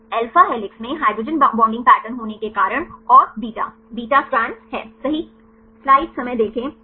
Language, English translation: Hindi, Because of the hydrogen bonding patterns right in alpha helix and the beta, beta strands right